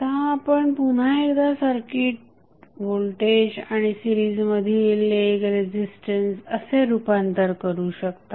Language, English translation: Marathi, Now, you know you can again transform the circuit back into voltage and one resistance in series so what will happen